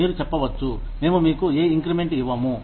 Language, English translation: Telugu, You can say, we are not going to give you, any increments